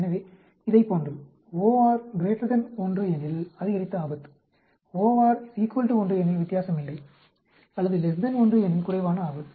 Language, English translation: Tamil, So just like this, OR greater than 1 increased risk, OR equal to 1 no difference, OR less than 1 lower risk